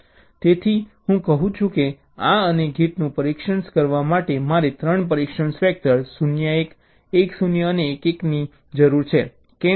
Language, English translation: Gujarati, now, ok, so i say that to test this and gate i need three test vectors: zero one, one zero and one one